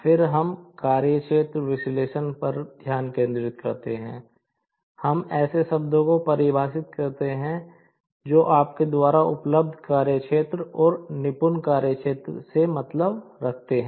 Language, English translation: Hindi, Then, we concentrate on the workspace analysis, we define the terms like what do you mean by the reachable workspace and the dexterous work space